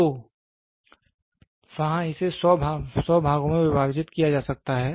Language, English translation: Hindi, So, there it can be divided into 100 parts